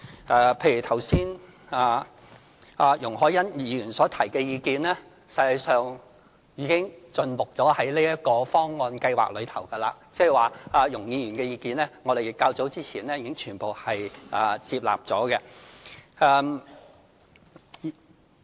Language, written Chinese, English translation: Cantonese, 剛才容海恩議員所提的意見，實際上已盡錄在這個計劃方案中，即是說對於容議員的意見，我們較早前已全部接納。, The views expressed by Ms YUNG Hoi - yan just now have actually been incorporated into the Plan . In other words her views were already taken on board some time ago